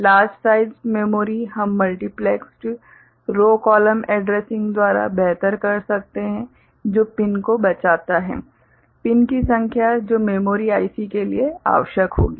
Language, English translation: Hindi, Larger sized memory we can do better by multiplexed row column addressing which saves pins, number of pins that would be required for the memory IC